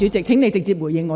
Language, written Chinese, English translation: Cantonese, 請你先直接回應我。, Please answer me directly first